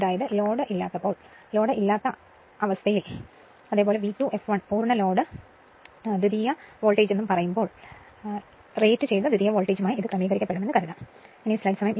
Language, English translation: Malayalam, That means, when load is not there say no load condition right and V 2 f l is full load secondary voltage, it is assumed to be adjusted to the rated secondary voltage right